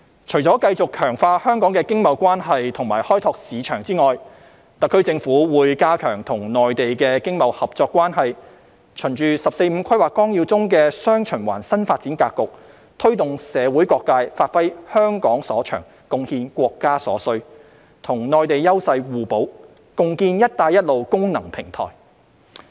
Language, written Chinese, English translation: Cantonese, 除了繼續強化香港的經貿關係及開拓市場外，特區政府會加強與內地的經貿合作關係，循《十四五規劃綱要》中的"雙循環"新發展格局，推動社會各界發揮香港所長，貢獻國家所需，與內地優勢互補，共建"一帶一路"功能平台。, In addition to continue strengthening Hong Kongs economic and trade ties and exploring markets the SAR Government will strengthen its economic and trade cooperation with the Mainland . Following the new dual circulation development pattern in the 14th Five - Year Plan it will promote all sectors in society to capitalize on what Hong Kong is good at and contribute to what the country needs so as to foster complementary development with the Mainland to jointly establish a functional platform for the Belt and Road Initiative